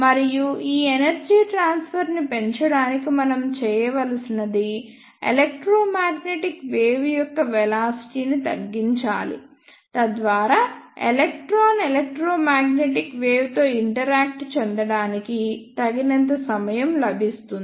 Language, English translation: Telugu, And to increase this energy transfer, what we need to do, we need to decrease the velocity of electromagnetic wave, so that electron can get enough time to interact with the electromagnetic wave